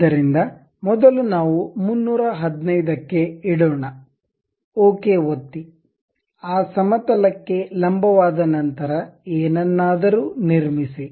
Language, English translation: Kannada, So, first let us keep 315, click ok; once it is done normal to that plane, construct anything